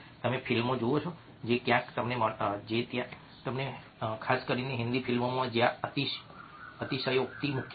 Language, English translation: Gujarati, you watch movies which where you find, especially hindi movies, where are the